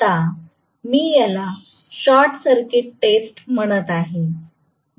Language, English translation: Marathi, Now, I am calling this as short circuit test